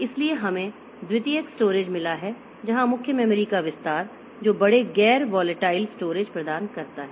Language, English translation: Hindi, So, we have got the secondary storage where the extension of main memory that provides large non volatile storage